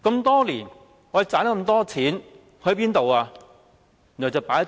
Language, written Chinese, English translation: Cantonese, 多年來，我們賺到這麼多錢，去了哪裏？, Over the years for the lots of money that we have earned where has it gone?